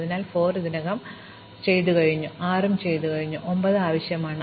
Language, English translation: Malayalam, So, 4 is already done, 6 is already done, but 9 is new